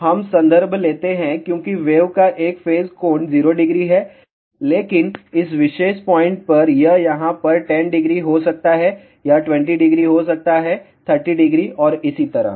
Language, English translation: Hindi, So, let us take reference as the wave has a phase angle 0 degree, but at this particular point, it may be 10 degree over here, it may be 20 degree, 30 degree and so on